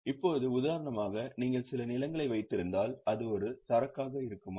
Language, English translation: Tamil, Now, for example, if you are holding some land, will it be an inventory